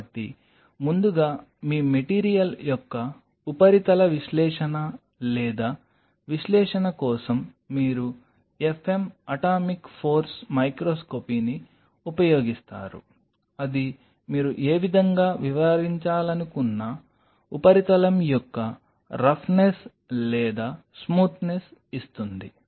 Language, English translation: Telugu, So, first for surface analysis or analysis of your material you use a f m, atomic force microscopy that will kind of give you the roughness or smoothness of the surface whichever way you want to explain it